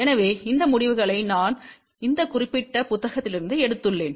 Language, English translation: Tamil, So, these results I have taken from this particular book here ah